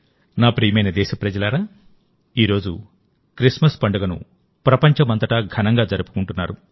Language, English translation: Telugu, My dear countrymen, today the festival of Christmas is also being celebrated with great fervour all over the world